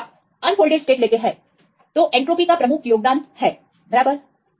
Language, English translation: Hindi, If you take the unfolded states what is the major contribution the entropy right